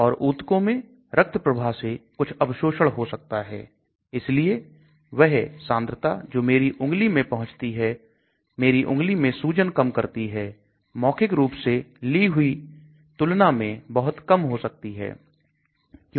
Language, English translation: Hindi, And there could be some absorption from the blood stream into the tissues so the concentration that reaches my finger they reduce the swelling in my finger may be much, much less when compared to what I take orally